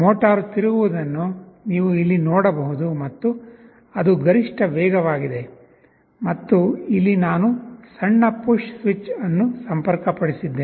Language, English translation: Kannada, You can see here that the motor is rotating and it is the maximum speed, and here I have interfaced a small push switch